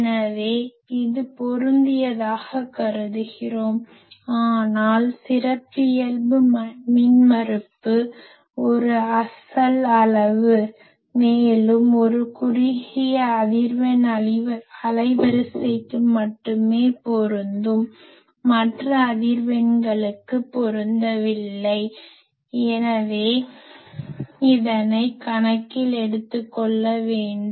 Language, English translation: Tamil, So, we are assuming it is matched, but characteristic impedance is a real quantity and over a narrow frequency band only it will be matched that other frequencies there will be a mismatch so, that needs to be take into account